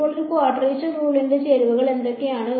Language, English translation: Malayalam, Now what are the ingredients of a quadrature rule